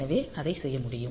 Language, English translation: Tamil, So, that can be done